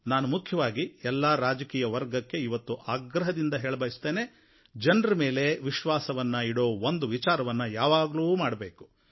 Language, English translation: Kannada, I would like to specially appeal to the entire political class to place implicit faith in the people